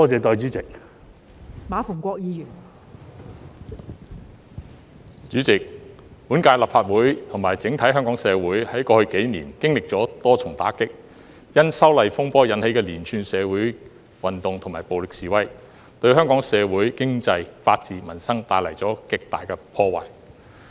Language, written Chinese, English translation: Cantonese, 代理主席，本屆立法會和整體香港社會，在過去幾年經歷了多重打擊，因修例風波引起的連串社會運動及暴力示威，對香港社會、經濟、法治、民生帶來極大破壞。, Deputy President over the past few years this Legislative Council as well as society as a whole have been hard - hit by multiple incidents . The series of social movements and violent demonstrations caused by the legislative amendment controversy have caused great damage to the Hong Kong society and its economy rule of law and peoples livelihood